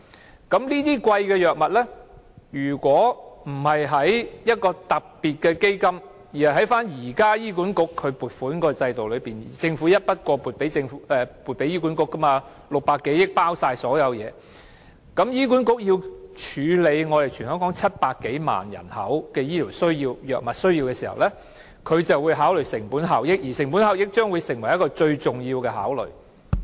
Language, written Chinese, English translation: Cantonese, 如果這些昂貴的藥物不是以一個特別基金購買，而是透過現時醫院管理局的撥款制度購買，即以政府一筆過撥給醫管局的600多億元購買，而當中已包括了所有東西的撥款，但醫管局卻須處理全港700多萬人的醫療藥物需要時，便會考慮成本效益，而且這將會成為一個最重要的考慮。, If such expensive drugs are not purchased through a special fund but through the existing funding system under the Hospital Authority HA ie . through the lump sum grant of 60 - odd billion made by the Government to HA which contains the funding for all aspects given that HA needs to deal with the needs for drugs for medical treatment of over 7 million people in Hong Kong cost - effectiveness has to be taken into account and it will then become the most important consideration